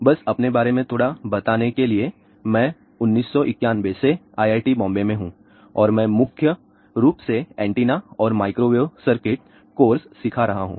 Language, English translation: Hindi, ah Just to tell little bit about myself, I have been here at IIT, Bombay since 1991 and I have been teaching mainly antennas and microwave circuits course